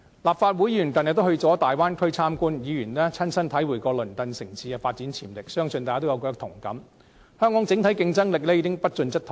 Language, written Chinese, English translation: Cantonese, 立法會議員近日到大灣區參觀，議員親身體會到鄰近城市的發展潛力，相信大家也有同感，香港的整體競爭力已經不進則退。, The approach is bold and merits support . Members of the Legislative Council have visited the Bay Area recently to experience first - hand the development potential of neighbouring cities . I believe we all share the same feeling that Hong Kongs overall competitiveness is falling behind